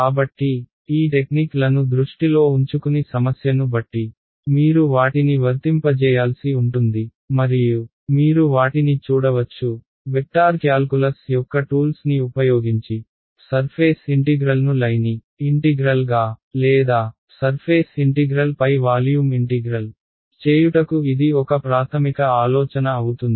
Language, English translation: Telugu, So, keep these techniques in mind you will have to apply them depending on the problem at hand and these like you can see we are just using the tools of vector calculus to simplify a surface integral into a line integral or a volume integral into a surface integral that is the basic idea over here ok